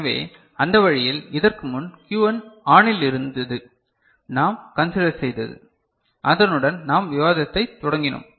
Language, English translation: Tamil, So, that way earlier Q1 was ON the consideration that we had, with which we had started the discussion